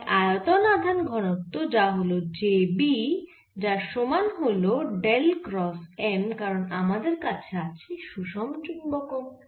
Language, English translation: Bengali, so and the volume charge density, which is j v, is given by dell cross n, because we have a uniform magnetization